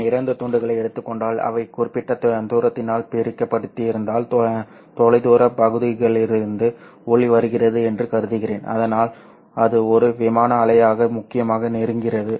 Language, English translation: Tamil, You know that if I take two slits, if they are separated by certain distance, and then I send in light, assume that light is coming off from a far away region so that it essentially approaches it as a plane wave